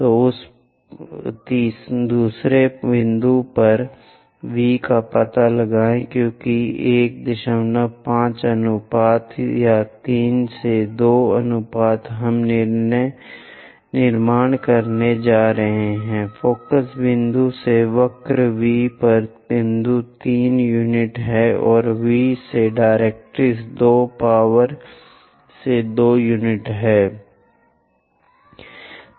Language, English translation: Hindi, 5 ratio or 3 by 2 ratio we are going to construct, from focus point all the way to the point on the curve V is 3 units and from V to directrix 2 power to 2 units